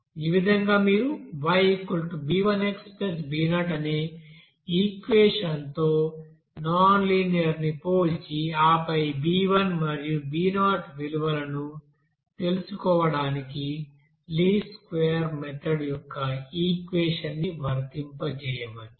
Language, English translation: Telugu, So in this way you can you know make that nonlinear to linear and then comparing with this you know equation of y = b1x plus b0 and then apply that equation of least square method to find out this b1 and b0 value